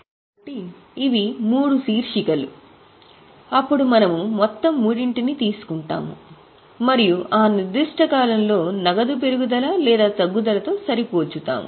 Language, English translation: Telugu, Then we take the total of the three and that we match with the increase or decrease of cash during that particular period